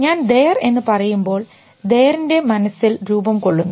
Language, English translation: Malayalam, When I am saying there; T H E R E is happening in my mind